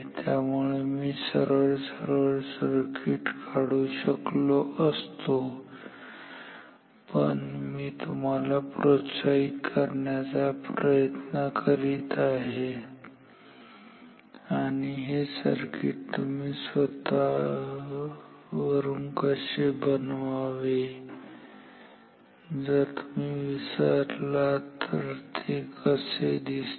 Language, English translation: Marathi, So, I could have drawn the circuit directly, but I am trying to motivate how to find or how to make this circuit on your own if you ever forget how it looks like